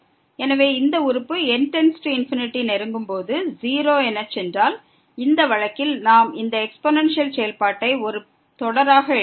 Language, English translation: Tamil, So, if this term goes to 0 as goes to infinity, in this case we can write down this exponential function as a series